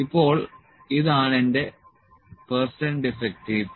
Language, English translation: Malayalam, Now this is my percent defective